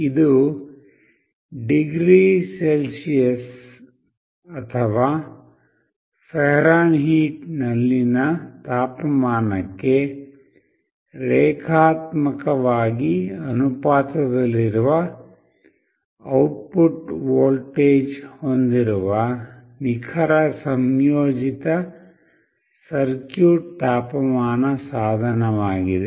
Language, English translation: Kannada, This is a precision integrated circuit temperature device with an output voltage linearly proportional to the temperature in degree Celsius or Fahrenheit